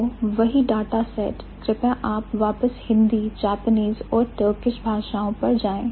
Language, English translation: Hindi, The same data set, please go back, Hindi, Japanese and Turkish